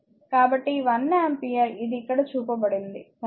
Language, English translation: Telugu, So, this i is equal to one ampere, this is what is shown here, right